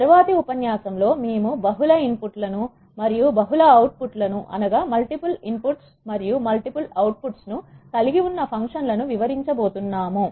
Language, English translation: Telugu, In the next lecture we are going to explain the functions which are having multiple inputs and multiple outputs